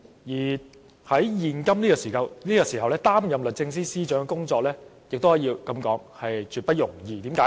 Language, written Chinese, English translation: Cantonese, 況且，在現在這個時候，擔任律政司司長的工作也絕不容易，為甚麼？, Besides at this moment of time it is absolutely not easy to take up the work of the Secretary for Justice . Why?